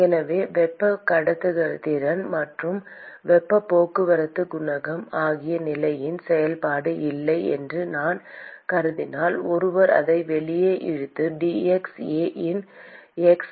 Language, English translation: Tamil, So, if I assume that the thermal conductivity and the heat transport coefficient are not function of position, then one could pull it out and say k d by dx A of x